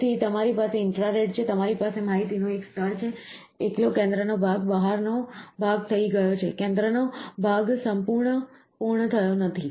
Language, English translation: Gujarati, So, you have an infrared, you have a layer of information so, the centre portion alone, the outside portion is done, the centre portion is not done